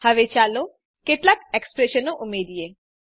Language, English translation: Gujarati, Now let us add some expressions